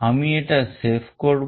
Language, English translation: Bengali, I will save this